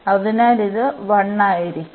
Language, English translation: Malayalam, So, this will be 1